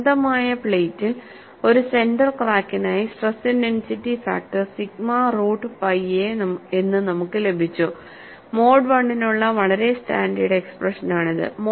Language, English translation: Malayalam, And we have got, for a center crack in an infinite plate, the value of stress intensity factor as sigma root pi A; that is a very standard expression for mode 1